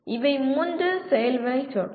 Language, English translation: Tamil, These are the three action verbs